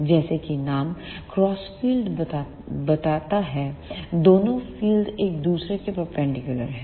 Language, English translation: Hindi, As the name crossed field itself suggest that the fields are perpendicular to each other